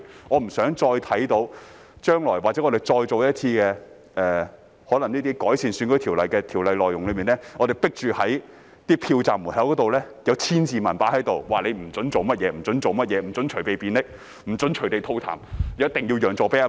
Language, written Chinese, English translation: Cantonese, 我不想看到將來我們要再做一趟改善選舉條例，被迫在內容中訂明要在票站門外貼出千字文，指明不准做甚麼、不准做甚麼、不准隨地便溺、不准隨地吐痰、一定要讓座給婆婆。, I do not want to see that in the future we have to conduct another legislative amendment exercise to improve the electoral legislation and be forced to post a thousand - word message outside the polling station specifying what not to do such as no urinating or defecating no spitting and offering your seat to a granny